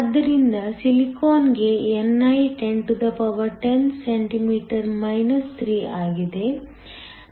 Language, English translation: Kannada, So, ni for silicon is 1010 cm 3